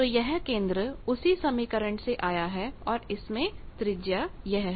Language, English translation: Hindi, So this is the center from that same formula and radius is this